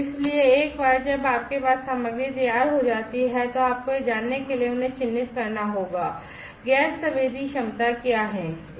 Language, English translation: Hindi, So, once you have the material ready, then you will have to characterize them in order to know that; what is a gas sensing capability